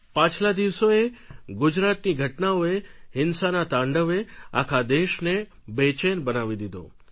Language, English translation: Gujarati, In the past few days the events in Gujarat, the violence unsettled the entire country